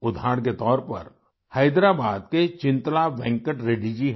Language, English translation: Hindi, Chintala Venkat Reddy ji from Hyderabad is an example